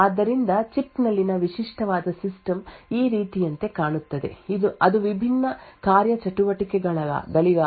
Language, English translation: Kannada, So, a typical System on Chip would look like something like this it could have various components corresponding to the different functionality